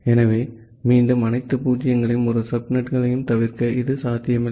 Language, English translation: Tamil, So, again to avoid all zero’s and all one subnets, this is not possible